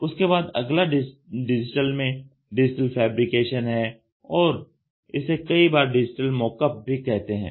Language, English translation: Hindi, Then the next one is digital fabrication and they also call it as digital mock up